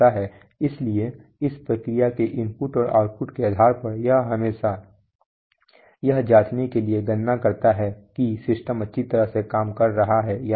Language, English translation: Hindi, So based on this process inputs and output it does lot of calculation to always check whether the system is working nicely